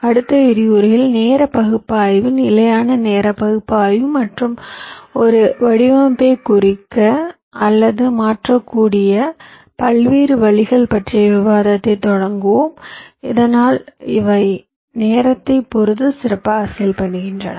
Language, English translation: Tamil, so in the next week we shall be starting our discussion on the timing analysis, the various ways you can carry out timing analysis, static timing analysis and ways in which you can annotate or modify a design so that they perform better with respect to timing